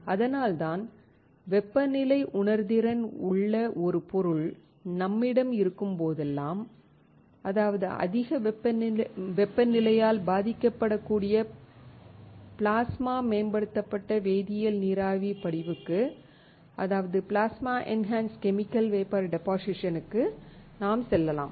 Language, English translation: Tamil, That is why whenever we have a material which is sensitive to temperature, that is, which can get affected by higher temperature, we can go for Plasma Enhanced Chemical Vapor Deposition